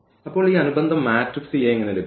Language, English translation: Malayalam, So, now, how to get this corresponding matrix A